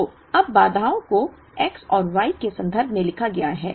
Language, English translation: Hindi, So now, the constraints are all written in terms of X and Y